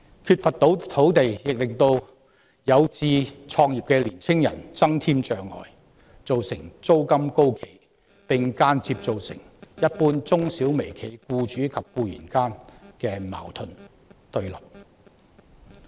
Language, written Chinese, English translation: Cantonese, 缺乏土地亦為有志創業的青年人增添障礙，造成租金高企，並間接造成一般中小微企僱主與僱員間的矛盾和對立。, The lack of land has also posed obstacles for young people aspiring to start - ups resulting in high rentals and indirectly leading to the general conflict and hostility between employers and employees in micro small and medium enterprises